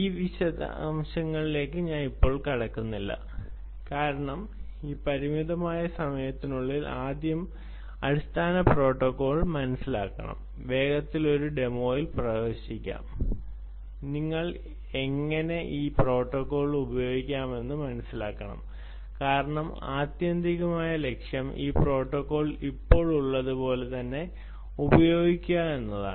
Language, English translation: Malayalam, when you want to do, we will not get into that detail because in this limited time we have to get understand the basic protocol first, quickly get into a demo, understand how you can use this protocol, because ultimate objective is: can i use this protocol as it is by